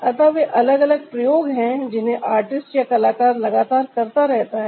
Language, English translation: Hindi, so those are the different experiments that the artist ah keep on doing so